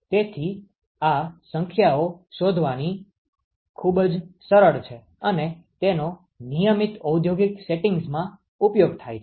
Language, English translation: Gujarati, So, it is very easy to find these numbers and it is routinely used in industrial settings